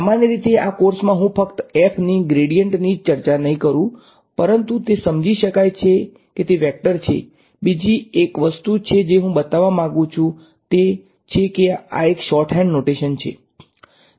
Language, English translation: Gujarati, Usually, in this course I will not be putting a arrow on top of the gradient of f, but it is understood that it is a vector, another thing I want to point out is that this is a shorthand notation